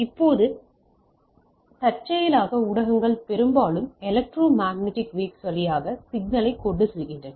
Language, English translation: Tamil, Now, incidentally the mostly the mediums are mostly are carry signals through electromagnetic waves so to say and those are analog